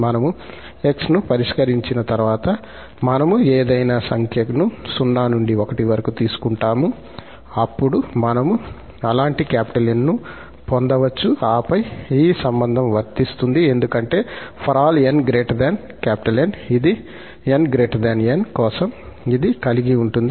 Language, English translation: Telugu, Once we fix the x, we take any number x from 0 to 1, then we can get such N and then this relation will hold because for all n greater than this N, this holds for n greater than this N